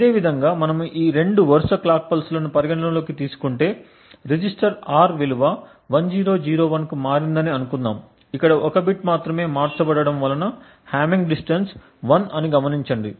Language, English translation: Telugu, Similarly, if we consider these two consecutive clock pulses and let us say that the register R has changed to a value of 1001, we note that here there is only one bit that has been changed and therefore the hamming distance is 1